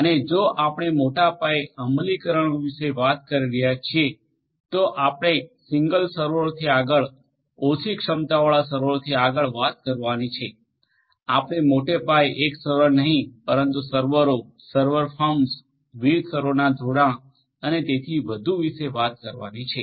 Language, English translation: Gujarati, And if we are talking about large scale implementations we have to talk beyond single servers, low capacity servers, we have to talk about large scale not singular servers, but servers server firms, connection of different servers and so on